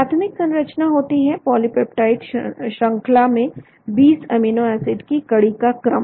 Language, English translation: Hindi, So the primary structure is sequence of the 20 amino acids in the polypeptide chain